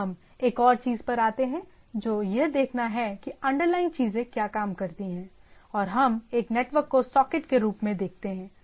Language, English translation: Hindi, Now, we come to another thing which is to see that what underlying things how things work what we see a network socket, right